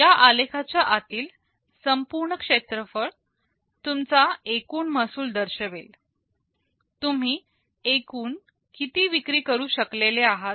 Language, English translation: Marathi, The total area under this curve will denote your total revenue, how much total sale you have been able to do